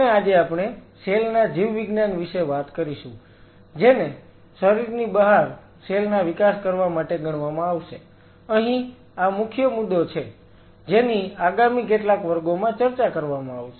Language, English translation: Gujarati, Today we will talk about the Biology of the cell to be considered to grow the cells outside the body; this is the key point what will be dealing next few classes